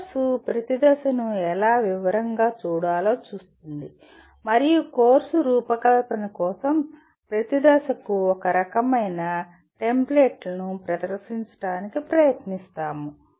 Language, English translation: Telugu, The course will look at how to look at each phase in detail and we will try to present a kind of a template for each phase for designing the course